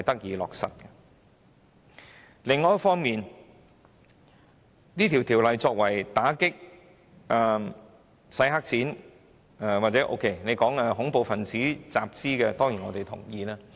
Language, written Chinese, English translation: Cantonese, 《條例草案》主要旨在打擊洗黑錢及恐怖分子集資，我對此當然同意。, The main purpose of the Bill is to combat money laundering and terrorist financing to which I strongly support